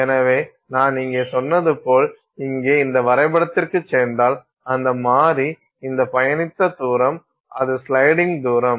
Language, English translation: Tamil, So, as I said here if you go back to this plot here, that variable is this distance travel, that is the sliding distance